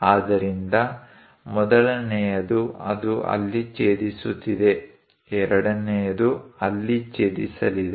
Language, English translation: Kannada, So, the first one; it is intersecting there, the second one is going to intersect there